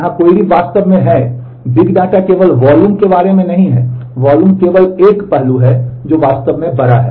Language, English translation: Hindi, The question here really is, big data is not only about volume, the volume is only one aspect which is really large